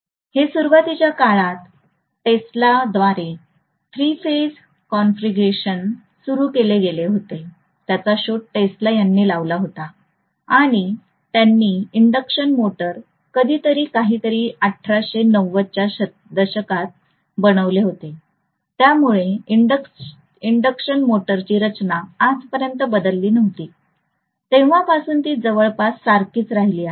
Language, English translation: Marathi, This was initially actually the three phase configuration was initially introduced by Tesla, it was invented by Tesla and he had made the induction motor sometime in 1890’s or something, so induction motor design had not changed until day, it is almost remaining the same ever since 1890